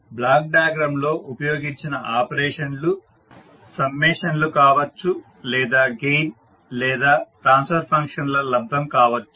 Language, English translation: Telugu, So the operations used in block diagram are, can be the summations or maybe gain or multiplication by a transfer function